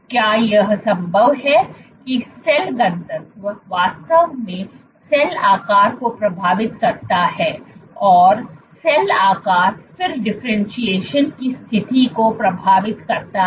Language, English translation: Hindi, Is it possible, So, imagine this picture that cell density actually impacts the cell shape and cell shape then impacts the differentiation status